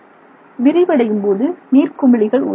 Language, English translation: Tamil, Generally when that happens, small bubbles are formed